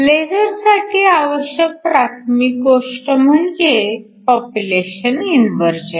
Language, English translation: Marathi, For laser primary thing we need is population inversion